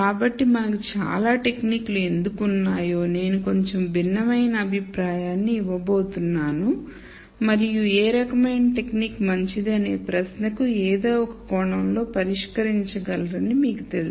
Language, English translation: Telugu, So, I am going to give a slightly different view of why we have so many techniques and you know you can kind of resolve in some sense this question of which technique is better